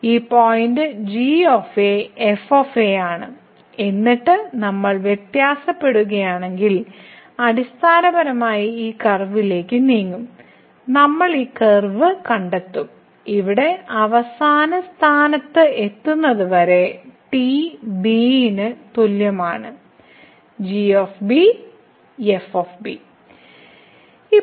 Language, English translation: Malayalam, So, this point is , and then if we vary we will basically move on this curve we will trace this curve and till we reach the end point here, is equal to which is given by